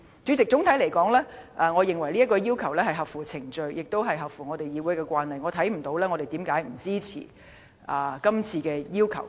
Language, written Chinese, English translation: Cantonese, 主席，總的來說，我認為有關請求合乎程序，亦合乎議會的慣例，所以我看不到為何我們不支持這個請求。, President all in all I think the relevant request is procedurally in order and consistent with the established practices of this Council . Hence I fail to see why we should not support this request